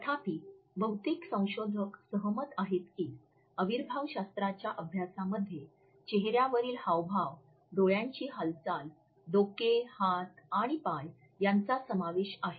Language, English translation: Marathi, However, most of the researchers agree that the study of kinesics include facial expressions, movement of eyes, head, hand, arms, feet and legs